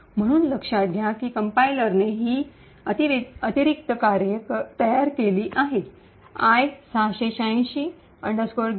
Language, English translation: Marathi, So, note that the compiler has created these additional functions getpc thunk